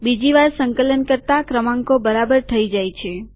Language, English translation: Gujarati, On second compilation the numbers become correct